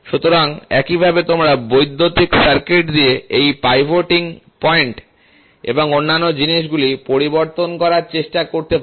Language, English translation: Bengali, So, in the same way, you can also try to change this pivoting point and other things with an electrical circuit